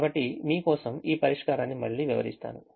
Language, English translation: Telugu, so let me again interpret this solution for you